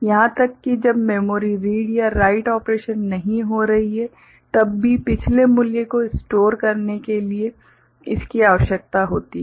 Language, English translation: Hindi, Even when memory read or write operation is not taking place so that previous value whatever it is remain stored